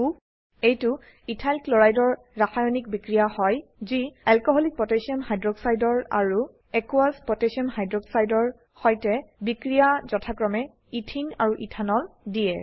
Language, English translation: Assamese, This is a chemical reaction of Ethyl chloride with Alcoholic Potassium hydroxide and Aqueous Potassium hydroxide to yield Ethene and Ethanol respectively